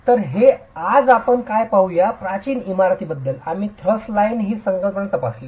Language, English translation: Marathi, As far as ancient building systems are concerned, we examined this concept of the thrust line